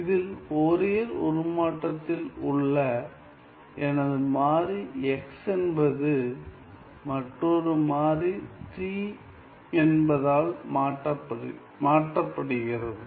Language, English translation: Tamil, And in that case, my variable x in the Fourier transform is going to be replaced by another variable t